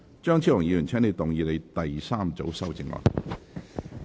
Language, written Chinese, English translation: Cantonese, 張超雄議員，請動議你的第三組修正案。, Dr Fernando CHEUNG you may move your third group of amendment